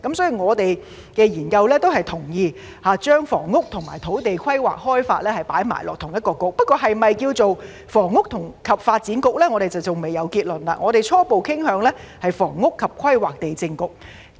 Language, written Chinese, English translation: Cantonese, 所以，我們的研究結果也同意把房屋和土地規劃開發放在同一個政策局，不過是否名為"房屋及發展局"，我們尚未有結論，我們初步傾向名為"房屋及規劃地政局"。, For the aforementioned reason our study findings also agree that housing as well as land planning and development should be placed under one bureau . Having said that we have not yet come to a conclusion as to whether it should be called Housing and Development BureauOur initial preference is for Housing Planning and Lands Bureau